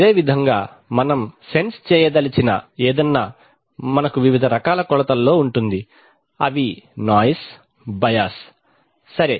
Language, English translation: Telugu, Similarly anything we want to sense we are going to have various kinds of measurement, noise, bias right